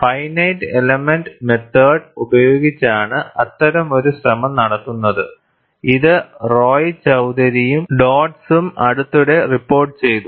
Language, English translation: Malayalam, And such an attempt is made using finite element methods, which is recently reported by Roychowdhury and Dodds